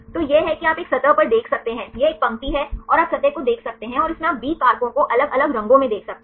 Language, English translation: Hindi, So, this is you can see on a surface right this is the line one and you can see the surface and from this you can see the B factors the different colors